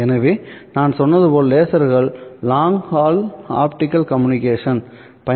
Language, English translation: Tamil, So as I said, lasers is what we are using for long haul optical communications